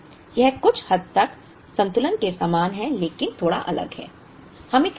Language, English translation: Hindi, It is somewhat similar to part period balancing but slightly different